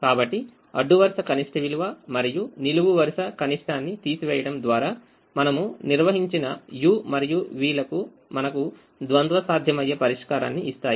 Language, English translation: Telugu, so the u's and the v's that we have defined through subtracting the row minimum and the column minimum gives us a, a dual, feasible solution